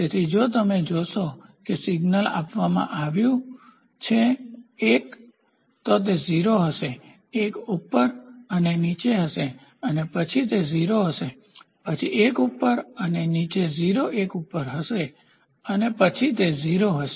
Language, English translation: Gujarati, So, here if you see the signals are given one, then it will be 0, 1 up and down and then it will be 0, then 1 up and down to be 0 1 up down and then it will be 0